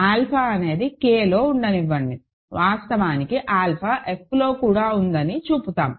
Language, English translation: Telugu, Let alpha be in K, we will actually show that alpha is also in F